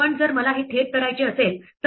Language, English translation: Marathi, But what if I want to directly do this